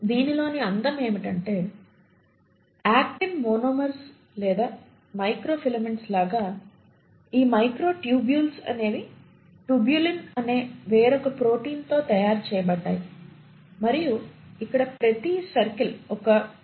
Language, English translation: Telugu, Now the beauty is, just like actin monomers, just like microfilaments the microtubules are made up of another protein called as tubulin and each circle here shows you a tubulin